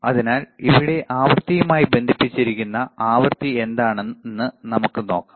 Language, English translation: Malayalam, So, let us see, what is the frequency here connected to frequency, yes; it is a mode of frequency